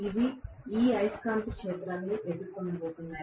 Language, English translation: Telugu, They are going to face this magnetic field